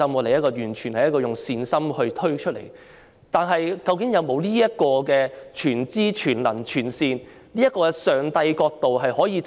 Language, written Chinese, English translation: Cantonese, 可是，究竟在制訂政策上，是否確有這種全知、全能、全善的上帝角度呢？, Yet in policy formulation does this Gods view of all - knowing all - powerful and all - benevolent exist?